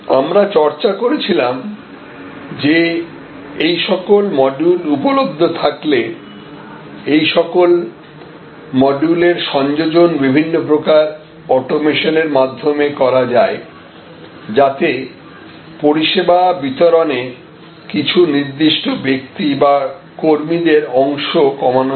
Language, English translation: Bengali, And we had discussed that these modules being available, the combination of these modules can be done often through different types of automation to reduce the personal element or personnel element in the service delivery